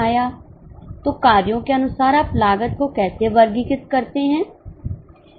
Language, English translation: Hindi, So, as for the functions, how do you classify the cost